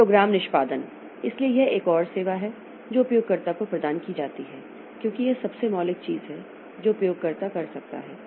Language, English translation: Hindi, Then program execution, so this is another service that is provided to the user because this is the most fundamental thing that the user be able to do